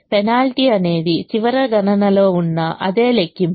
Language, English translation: Telugu, the penalty was the same as that in the last calculation